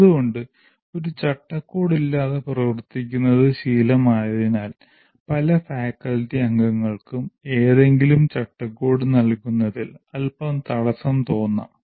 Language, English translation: Malayalam, That is the reason why having got used to operating with no framework, the many faculty members may feel a little constrained with regard to providing any framework